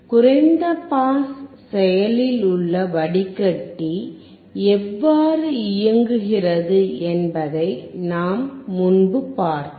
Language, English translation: Tamil, We have earlier seen how the low pass active filter works